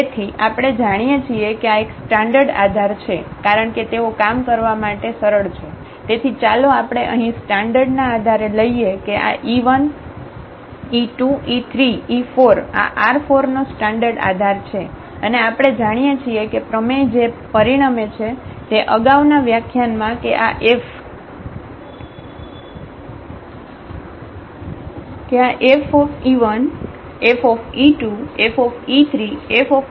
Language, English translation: Gujarati, So, we know that these a standard basis because they are simple to work with, so let us take whether standard basis here that this e 1, e 2, e 3, e 4 these are the standard basis from R 4 and we know that the theorem that result from the previous lecture that these e s span this x R 4 than this F e 1, F e 2, F e 3, F e 4 these are the vectors in R 3 and they will span actually the image of this mapping F